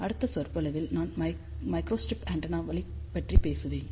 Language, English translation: Tamil, So, in the next lecture I will talk about microstrip antennas till then bye